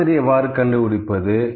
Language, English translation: Tamil, How to find the median